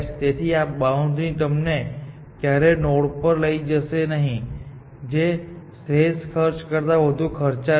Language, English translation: Gujarati, So, this boundary will never take you to a node, which is more expensive than the optimal cost